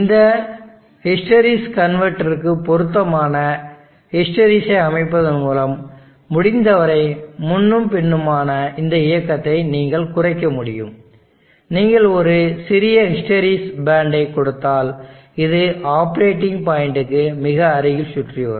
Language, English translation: Tamil, You can narrow down this back and forth movement as much as possible by setting an appropriate hysteresis for this hysteresis convertor, if you give a small hysteresis band, then this will be hovering very much near to the operating point